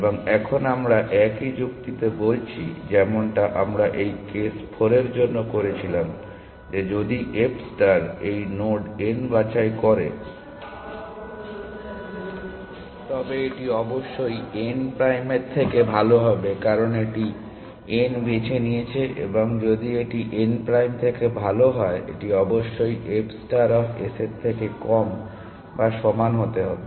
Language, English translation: Bengali, And now we are saying the same argument as we as we did for this case 4 that if f star is going to pick this node n, it must be better than n prime, because it has picked n and if it is better than n prime it must be less than or equal to f star of s essentially